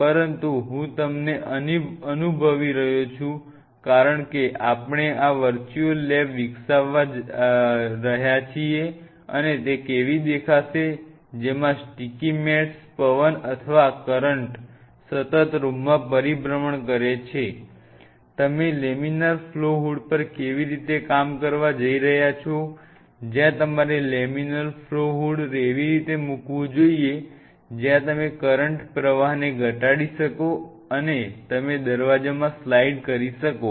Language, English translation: Gujarati, But I am kind of making you feel as we are developing this virtual lab how it will look like, that have the sticky mats have the wind or the currents have the room continuously you know circulating it, how you are going to work on the laminar flow hood, where you should look put the laminar flow hood where you can I minimize the you know outside current flow, where you can have you know slide in doors